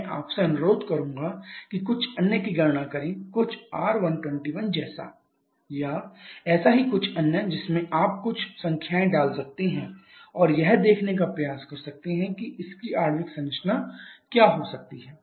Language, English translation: Hindi, So, it is just one of several possible I would request you to calculate a few others just following the same convention say R121 or something you can just put some numbers and try to see what can be the corresponding molecular structure